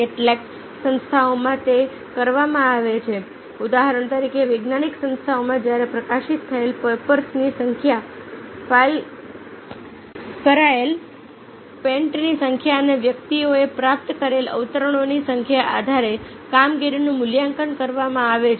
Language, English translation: Gujarati, say, for example, in scientific organization, when the performance is gauged, it gauged on the basis of the number of papers published, the number of patents filed ok and the number of re persons have received